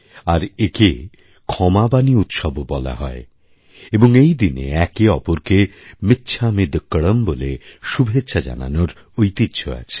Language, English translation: Bengali, It is also known as the KshamavaniParva, and on this day, people traditionally greet each other with, 'michhamidukkadam